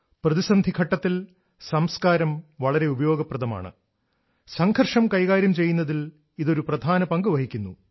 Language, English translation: Malayalam, Culture helps a lot during crisis, plays a major role in handling it